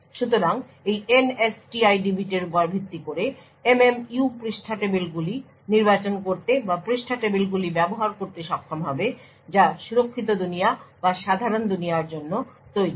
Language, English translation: Bengali, So, based on this NSTID bit the MMU would be able to select page tables or use page tables which are meant for the secure world or the normal world